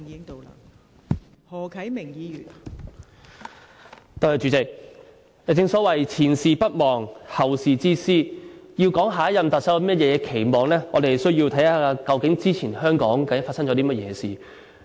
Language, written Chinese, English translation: Cantonese, 代理主席，正所謂"前事不忘，後事之師"，要說對下任特首有何期望，我們需要看看究竟香港之前發生過甚麼事。, Deputy President as the saying goes past experience if not forgotten is a guide for the future . We have to look at what happened in Hong Kong in the past in order to say what to expect from the next Chief Executive